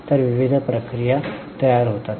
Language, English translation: Marathi, So, various processes are formed